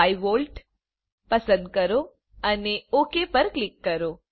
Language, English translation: Gujarati, Choose +5V and click on OK